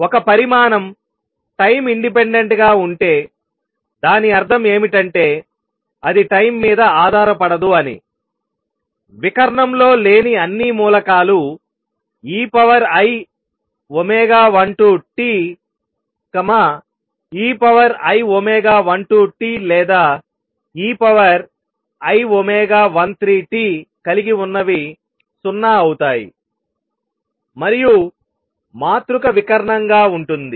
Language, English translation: Telugu, Notice that if a quantity is time independent; that means, it does not depend on time all the off diagonal terms anything containing e raise to i omega 12 t, omega i 12 or 13 t would be 0 and the matrix would be diagonal